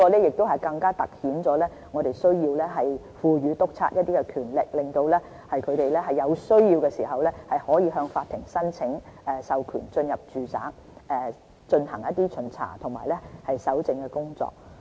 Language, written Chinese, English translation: Cantonese, 這情況更突顯我們需要賦予督察一些權力，讓他們在有需要的時候，可以向法庭申請授權進入住宅進行巡查及搜證的工作。, This situation actually demonstrates that inspectors need to have certain powers to apply for warrants if necessary in order to enter domestic premises for inspection and collection of evidence